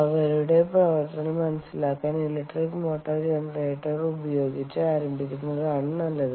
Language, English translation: Malayalam, to work on simple principles to understand their operation is best to start with the electric motor generator